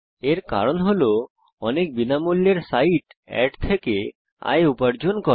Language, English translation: Bengali, * This is because, many free sites earn their income from ads